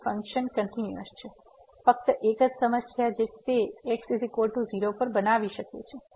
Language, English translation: Gujarati, So, the function is continuous, the only problem it could create at is equal to